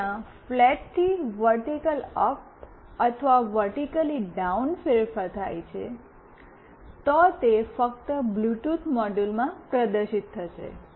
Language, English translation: Gujarati, If there is a change from flat to vertically up or vertically down, then only it will get displayed in the Bluetooth module